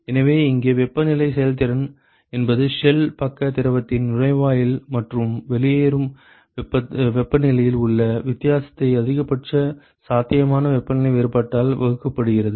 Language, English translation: Tamil, So, here the temperature efficiency means the difference in the inlet and the outlet temperature of the shell side fluid divided by the maximum possible temperature difference ok